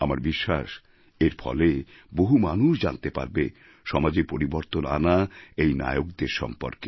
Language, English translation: Bengali, I do believe that by doing so more and more people will get to know about our heroes who brought a change in society